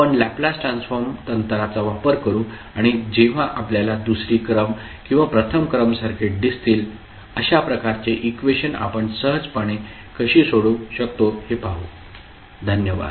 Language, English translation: Marathi, So, we will use the Laplace transform techniques and see how we can easily solve those kind of equations, when we see the second order or first order circuits, thank you